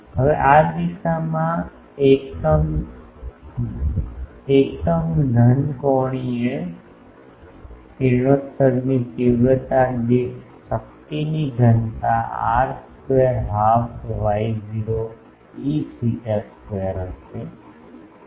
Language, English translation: Gujarati, Now, the power density per unit solid angular radiation intensity in this direction will be r square half Y not E theta square